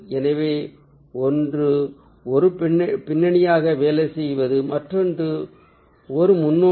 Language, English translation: Tamil, so one is working as a background, other one is a foreground